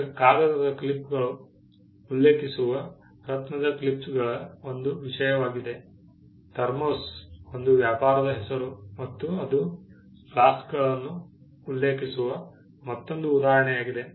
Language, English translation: Kannada, Now, gem clips referring to paper clips is one thing, thermos again a trade name referring to flasks is another instance